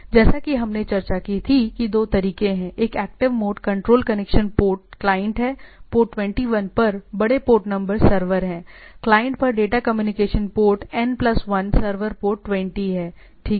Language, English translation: Hindi, So, to as we had discussed there are two mode; one is active mode control connection port client, there are large port numbers server at port 21, data communication port is at the client is N plus 1 server is port 20, right